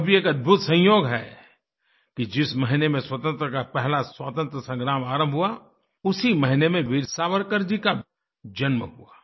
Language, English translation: Hindi, It is also an amazing coincidence that the month which witnessed the First Struggle for Independence was the month in which Veer Savarkar ji was born